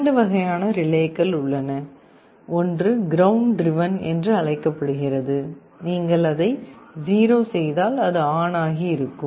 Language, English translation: Tamil, There are two kinds of relays, one is called ground driven means if you make it 0 it will be on